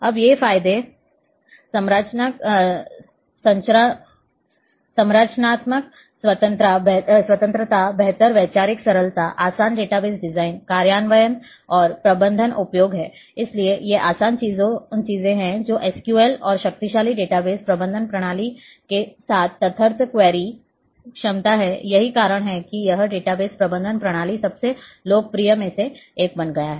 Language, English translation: Hindi, Now, what are the advantages structural independence, improved conceptual simplicity, easier database design, implementation and management use So, these are the easier things ad hoc query capability with SQL and powerful database management system that is why it has become one of the most popular database management system